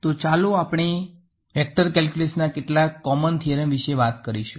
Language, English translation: Gujarati, So, moving on, we will talk about some Common Theorems in Vector Calculus ok